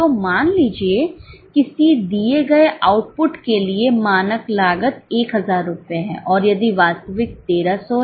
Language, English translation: Hindi, So, suppose for a given output the standard cost is 1,000 rupees and if actual is 1,300